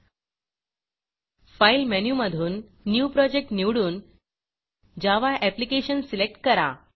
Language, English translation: Marathi, Fron the File menu choose New Project and choose a Java Application